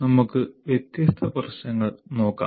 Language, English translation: Malayalam, But let us look at the different issues